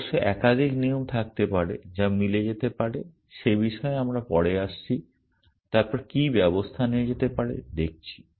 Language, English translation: Bengali, Of course, there may be more than one rule which may be matching, we will come to that later and then what action can be done